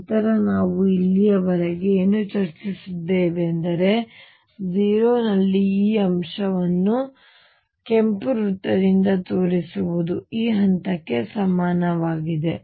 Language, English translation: Kannada, Then what we have discussed So far is this point at 0 which I am showing by red circle is equivalent to this point